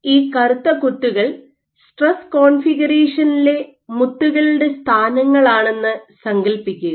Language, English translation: Malayalam, So, imagine these black dots are the positions of the beads in the stress configuration